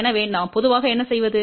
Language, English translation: Tamil, So, what we generally do